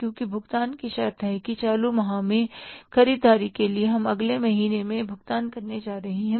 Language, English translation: Hindi, Because the condition is payment will be made for the purchases in the current month, we are going to make the payment in the next month